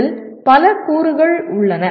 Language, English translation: Tamil, There are several elements into this